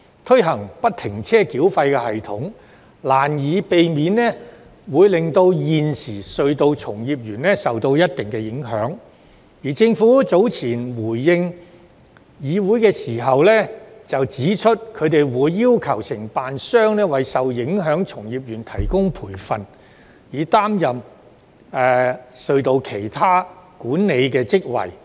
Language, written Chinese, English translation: Cantonese, 推行不停車繳費系統，難以避免令現時隧道從業員受到一定影響，而政府早前回應議會時指出，它會要求承辦商為受影響的從業員提供培訓，以擔任其他有關管理隧道的職位。, The implementation of FFTS will inevitably affect the existing tunnel practitioners but the Government has indicated in its earlier reply to the Council that it will require the contractors to provide training to the practitioners who are affected so as to enable them to take up other positions relating to tunnel management